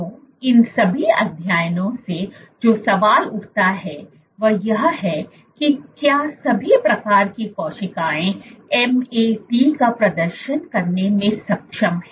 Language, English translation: Hindi, So, the question which arose from all of these studies are all types of cells capable of exhibiting MAT